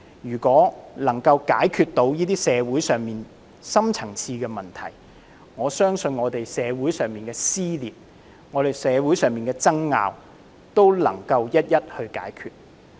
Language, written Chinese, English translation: Cantonese, 如果能夠解決社會上的深層次問題，我相信社會上的撕裂和爭拗也能夠一一解決。, If the deep - rooted problems in society can be resolved I believe the rifts and disputes in society can all be resolved